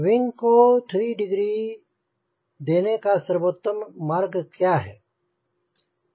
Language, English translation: Hindi, i have to give three degree to the wing